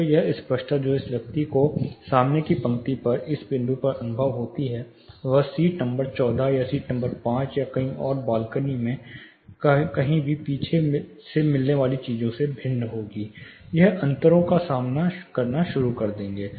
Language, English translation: Hindi, So, the clarity which this person experiences in this point in the front row, would be different from what you get somewhere in seat number 14, or seat number 5 or further behind sometimes in the balcony, you would start experiencing the differences, this is number one further summary of tables